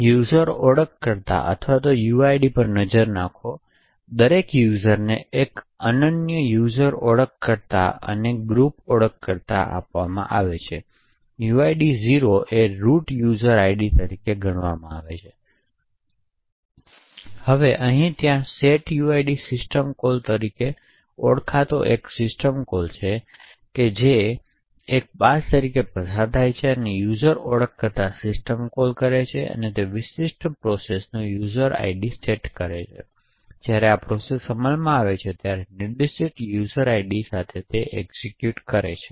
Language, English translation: Gujarati, Will the look at the user identifiers or uids, each user is given a unique user identifier and a group identifier, a uid of 0 is considered as the roots user id, now there is a system call known as the setuid which is passed as a user identifier is essentially what the system call would do is to set the user id of a particular process, so therefore when this process executes it will execute with the specified user id